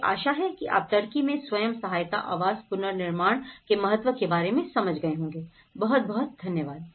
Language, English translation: Hindi, I hope you understand about the importance of the self help housing reconstruction in Turkey, thank you very much